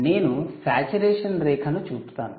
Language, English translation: Telugu, i will show the saturation line